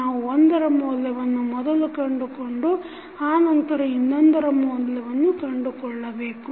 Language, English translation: Kannada, We will set the value of one and find out the value of second